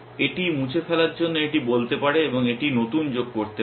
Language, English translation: Bengali, It might say this to be deleted and it might say new one to be added